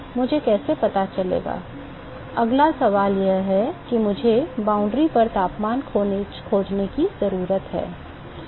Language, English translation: Hindi, How do I find, the next question is, I need to find the temperature at the boundary